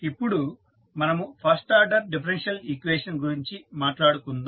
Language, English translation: Telugu, Now, let us talk about first order differential equation and we also call it as a state equation